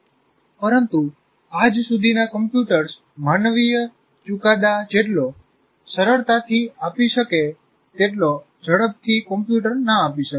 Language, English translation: Gujarati, But the computers cannot exercise judgment with the ease of human judgment